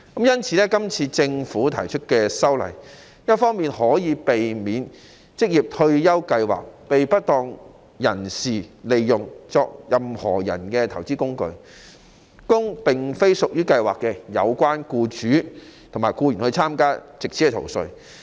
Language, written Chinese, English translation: Cantonese, 因此，政府提出修例，避免職業退休計劃被不當人士利用作投資工具，供並非屬於計劃的有關僱主及僱員參加，藉此逃稅。, Therefore the Government has proposed legislative amendments to prevent the misuse of OR Schemes as an investment vehicle by persons who are not the relevant employers and employees of the schemes for the purpose of tax avoidance